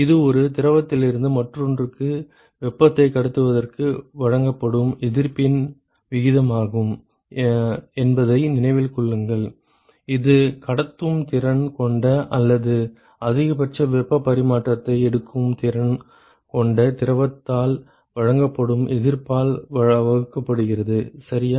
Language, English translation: Tamil, Remember that it is the ratio of the resistance offered for transport of heat from one fluid to other divided by the resistance offered by the fluid which is capable of transporting or which the capable of taking up maximum possible heat transfer, ok